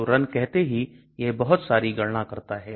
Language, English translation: Hindi, So run say it does a lot of calculations